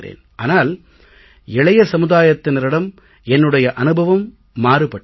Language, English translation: Tamil, My experience regarding youth is different